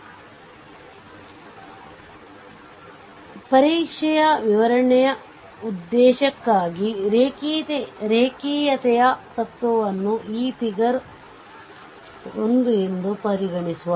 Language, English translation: Kannada, So, for the purpose of the exam explaining, the linearity principle is consider this figure 1 right